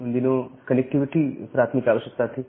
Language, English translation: Hindi, So, during that time connectivity was the prime requirement